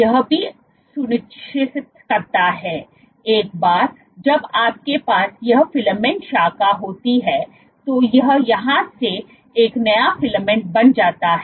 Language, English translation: Hindi, What it also ensures, once you have this filament branch this becomes a new filament from here onwards